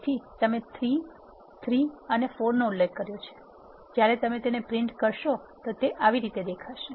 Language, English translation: Gujarati, So, you have specified 3, 3 and 4 when you do that you will get the matrix printed like this